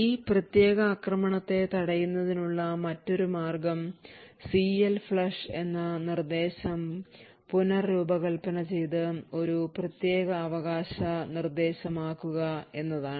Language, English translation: Malayalam, Another way of preventing this particular attack is to redesign the instruction CLFLUSH and make it a privilege instruction